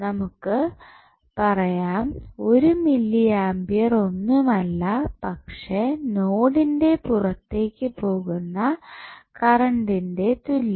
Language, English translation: Malayalam, So, what you can say you can say 1 milli ampere is nothing but the sum of current going outside the node